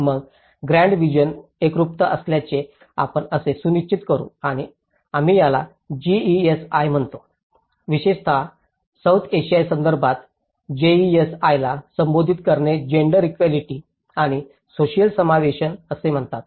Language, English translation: Marathi, Then, there is how we can ensure that there is a uniformity in the grant division and we call it as GESI, addressing GESI especially in the South Asian context one is called gender, equality and social inclusion